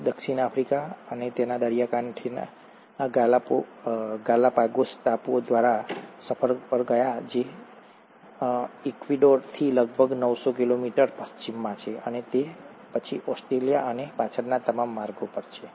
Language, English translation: Gujarati, He went on a voyage along the coast of South Africa, South America through the Galapagos Islands, which are about nine hundred kilometers west of Ecuador, and then all the way to Australia and back